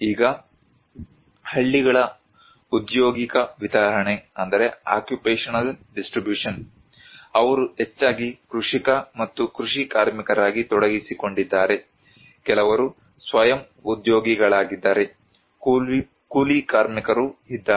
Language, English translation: Kannada, Now, occupational distribution of villages; they are mostly involved as a cultivator and agricultural labour, some are self employed, wage labourer are also there